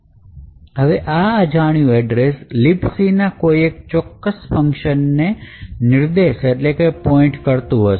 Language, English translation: Gujarati, However, this arbitrary address is now pointing to some particular function in a LibC